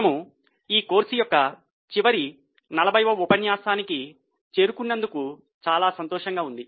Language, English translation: Telugu, I am very happy that we have reached the last 40th lecture of this course